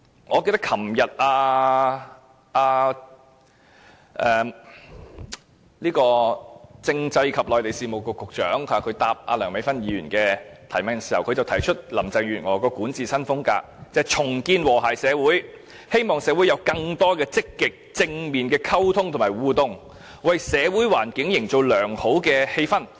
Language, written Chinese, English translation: Cantonese, 我記得政制及內地事務局局長昨天回答梁美芬議員的提問時，提出林鄭月娥的管治新風格，就是重建和諧社會，希望社會有更多積極、正面的溝通和互動，為社會環境營造良好氣氛。, I remember when responding to the question raised by Dr Priscilla LEUNG the Secretary for Constitutional and Mainland Affairs yesterday cited the new style of governance as proposed by Carrie LAM . It refers to governance which aims at restoring social harmony with a view to promoting more proactive and positive communications and interactions creating a good ambience in the community